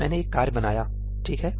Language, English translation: Hindi, I create a task